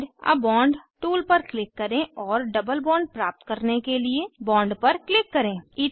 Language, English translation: Hindi, Click on Add a bond tool and click on the bond to obtain a double bond